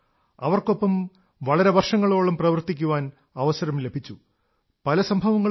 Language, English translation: Malayalam, I have had the opportunity to have worked with her for many years, there are many incidents to recall